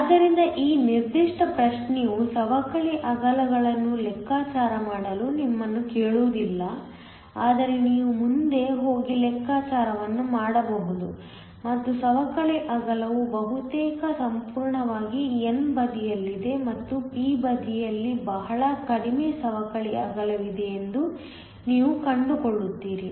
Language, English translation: Kannada, So, this particular problem does not ask you to calculate the depletion widths, but you can go ahead and do the calculation and you will find that the depletion width is almost entirely on the n side and that there is a very small depletion width on the p side